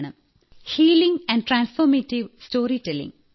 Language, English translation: Malayalam, 'Healing and transformative storytelling' is my goal